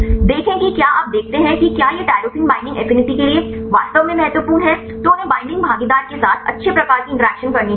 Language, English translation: Hindi, See if you see whether these tyrosine is really important for the binding affinity then they should make good type of interactions with the binding partner